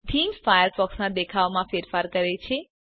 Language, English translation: Gujarati, A theme Changes how Firefox looks